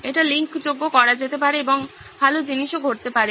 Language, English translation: Bengali, It could be made linkable and also good things can happen